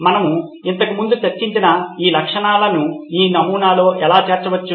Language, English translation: Telugu, How these features we have discussed previously can be incorporated into this prototype